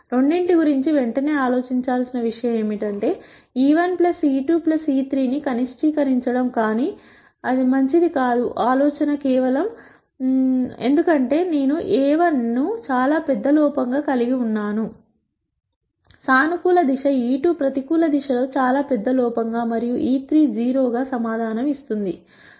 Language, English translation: Telugu, One thing to immediately think of both is to minimize e 1 plus e 2 plus e 3, but that would not be a good idea simply, because I could have a 1 as a very large error in the positive direction e 2 as a very large error in the negative direction and e 3 as 0 that will still give me an answer 0